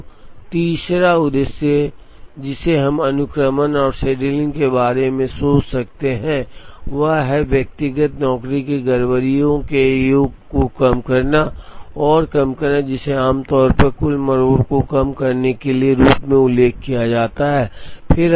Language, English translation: Hindi, So, the third objective that we can think of in sequencing and scheduling is to try and minimize the sum of the tardiness of the individual jobs, which is commonly mentioned as minimizing total tardiness